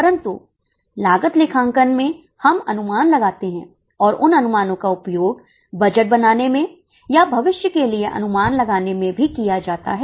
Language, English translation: Hindi, But in cost accounting we make estimates and those estimates are also used to make budgets or to make future projections